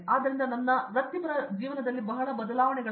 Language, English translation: Kannada, So, there is a lot of professional change in my carrier